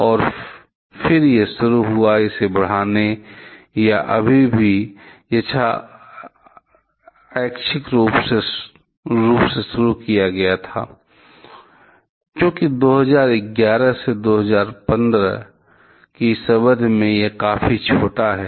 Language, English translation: Hindi, And then it started; it was started to increase or still quite random; because in this period of 2011 to 2015, it is quite small